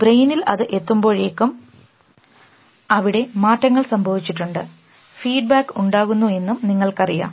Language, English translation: Malayalam, By the time it reaches the brain things have already changed and that feed backs and all